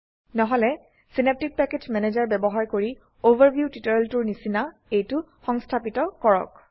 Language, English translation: Assamese, If not, please install the same, using Synaptic Package Manager, as in the Overview tutorial